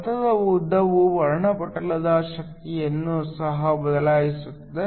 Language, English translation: Kannada, The path length will also change the energy of the spectrum